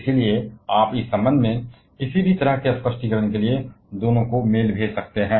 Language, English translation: Hindi, So, you can send mail to either of them as well regarding any kind of clarification